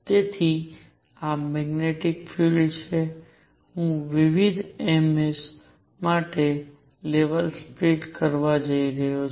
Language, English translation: Gujarati, So, this is the magnetic field, I am going to have levels split for different m s